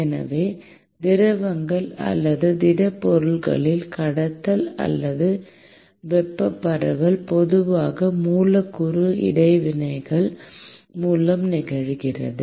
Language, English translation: Tamil, So, the conduction or the thermal diffusion in liquids or solids typically occurs through molecular interactions